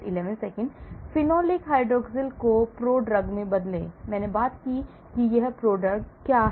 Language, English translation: Hindi, Change phenolic hydroxyl to prodrug, I did talk about what is a prodrug